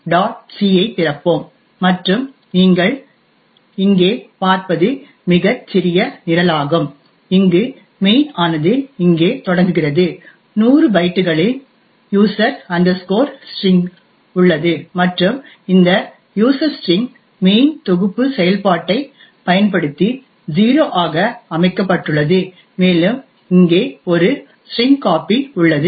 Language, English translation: Tamil, c and what you see here is a very small program where main starts here, there is a user string of 100 bytes and this user string is set to 0 using the mainset function and there is a string copy over here